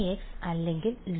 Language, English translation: Malayalam, 1 by x or log x